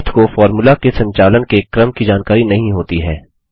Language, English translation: Hindi, Math does not know about order of operation in a formula